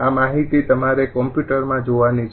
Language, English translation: Gujarati, this data you have to read in the computer, right